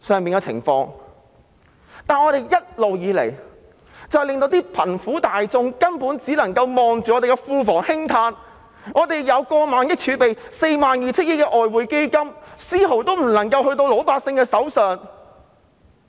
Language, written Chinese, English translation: Cantonese, 然而，政府一直令貧苦大眾只能夠望着庫房興嘆，我們擁有過萬億元儲備及 42,000 億元外匯基金，但卻無法把分毫交到老百姓手上。, These vivid examples reflect what is happening in Hong Kong society in the meantime . Nevertheless the Government has always disappointed the poor who can only heave a sigh at the public coffers . We are hoarding a reserve of thousands of billions dollars and the Exchange Fund of 4,200 billion yet not even a penny would be handed out to the ordinary people